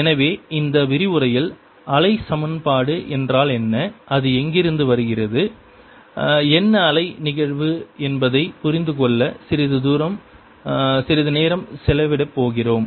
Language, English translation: Tamil, so in this lecture today, we are going to spend some time to understand what wave equation is, where it comes from, what wave phenomenon is